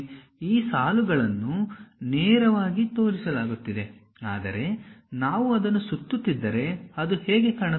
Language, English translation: Kannada, These lines will be projected straight away; but if we are revolving it, how it looks like